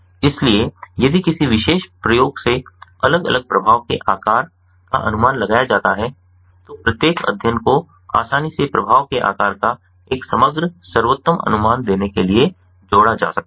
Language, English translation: Hindi, so if a particular experiment is replicated, the different effect size estimates from each study can easily be combined to give an overall best estimate of the effect size